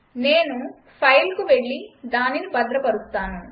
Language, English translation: Telugu, So let me go to File and then save